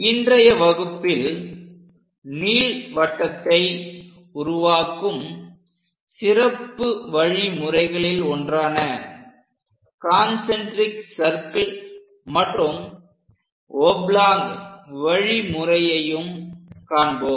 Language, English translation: Tamil, In today's class, we will learn two special methods to construct ellipse, one is concentric circle method, and other one is oblong method